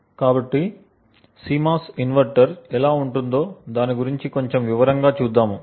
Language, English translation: Telugu, So, let us look a little more in detail about a CMOS inverter